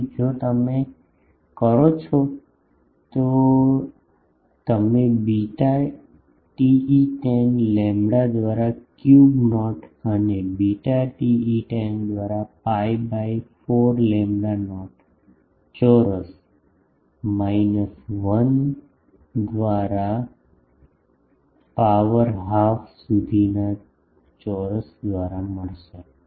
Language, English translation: Gujarati, So, if you do that you will get 64 ab by beta TE 10 lambda not cube and beta TE 10 is pi by 4 by lambda not square minus 1 by a square whole to the power half